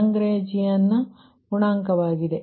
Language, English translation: Kannada, that is lagrangian as